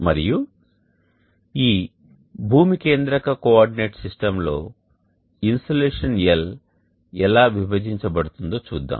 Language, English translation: Telugu, And in this earth centric coordinate system let us see how the insulation L gets resolved into